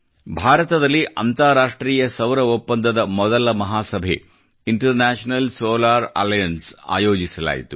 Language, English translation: Kannada, The first General Assembly of the International Solar Alliance was held in India